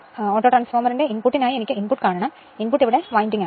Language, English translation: Malayalam, For autotransformerinput I have to see the input; input here this is the whole winding